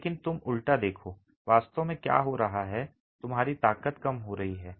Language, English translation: Hindi, But you look at the reverse, what's actually happening is your strength is decreasing